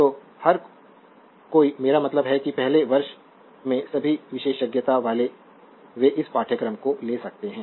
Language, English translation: Hindi, So, everybody I mean all the specializing in first year they can they can take this course right and